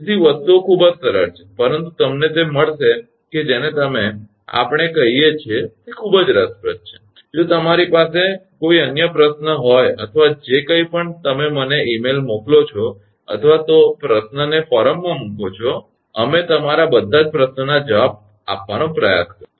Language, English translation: Gujarati, So, things are very simple, but you will find your what we call these are very interesting, if you have any other question or anything you send me mail or put the question in the forum we will try to answer all of your question